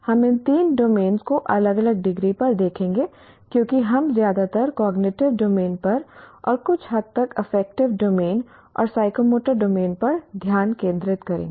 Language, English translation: Hindi, We will look at these three domains to varying degrees because we will focus mostly on cognitive domain and to a certain extent on affective and psychomotor domains